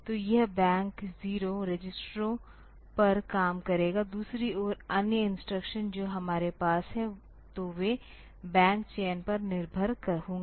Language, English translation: Hindi, So, it will be operating on the bank 0 registers; on the other hand other instructions that we have, so, they will depend on the bank selection